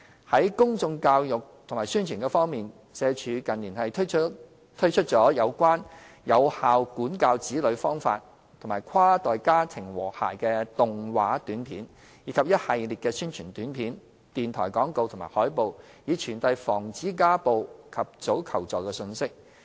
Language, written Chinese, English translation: Cantonese, 在公眾教育及宣傳方面，社署近年推出了有關有效管教子女方法及跨代家庭和諧的動畫短片，以及一系列宣傳短片、電台廣播及海報，以傳遞防止家暴和及早求助的信息。, As regards public education and promotion SWD has in recent years launched an animated short film on effective parenting and harmonious inter - generational family life produced and launched a series of Announcements in the Public Interest APIs on television and radio and promulgated through posters the messages of combating domestic violence and seeking timely and early assistance